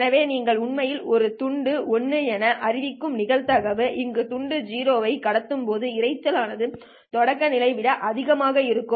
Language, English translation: Tamil, So the probability that you are actually declaring a bit as 1, when you have transmitted 0 is just the probability that the noise would be greater than the threshold